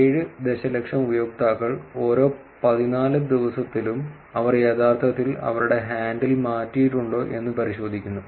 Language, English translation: Malayalam, 7 million users, every fourteen days go and check whether they have actually changed their handle